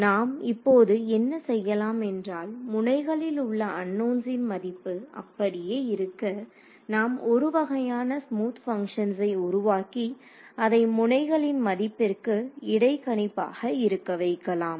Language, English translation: Tamil, Now what we will do is, those unknowns are still the same, the value of the nodes, but we will create a kind of a smooth function that take that interpolates between these node values